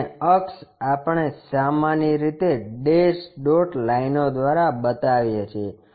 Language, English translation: Gujarati, And, the axis we usually show by dash dot lines